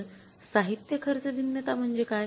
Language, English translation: Marathi, So, what is the material cost variance